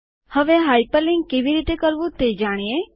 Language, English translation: Gujarati, Now lets learn how to hyperlink